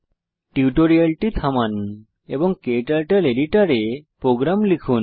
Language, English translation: Bengali, Pause the tutorial and type the program into KTurtle editor